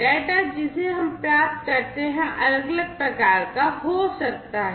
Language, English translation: Hindi, The type of data, that we receive can be characterized in different ways